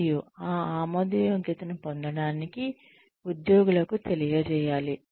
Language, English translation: Telugu, And, in order to get that acceptability, one has to inform the employees